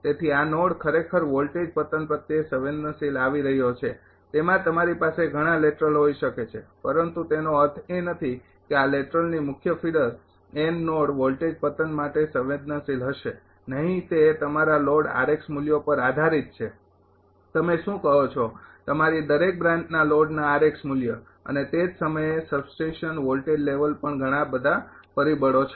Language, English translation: Gujarati, So, this node is coming actually sensitive of voltage collapse reality it ah you may have many laterals, but does not mean any of these lateral main figure n node will be sensitive of voltage collapse no it depends on the load r x values of the your what you call ah r x value of the your ah each branch load and at the same time also substation voltage level many many factors are there